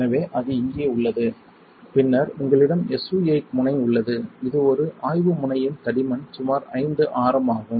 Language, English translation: Tamil, So, that is what it is here and then you have a SU 8 tip which is a probe tip the thickness is about radius is about 5